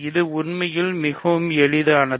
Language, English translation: Tamil, And this is a very simple actually